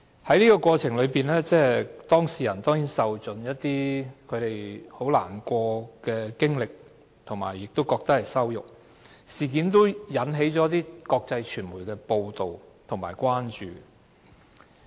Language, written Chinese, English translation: Cantonese, 在整個過程中，當事人甚為難過，也感到被羞辱，事件被國際傳媒報道，引起關注。, During the entire process the person involved was sad and felt insulted . The incident was covered by international media and aroused concern